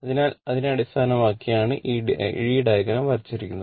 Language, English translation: Malayalam, So, thisthat based on that this this your diagram has been drawn right